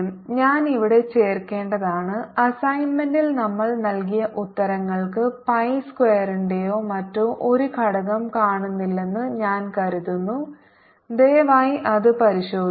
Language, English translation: Malayalam, i must add here that i think the answers that we have given in the assignment are missing a factor of pi square or something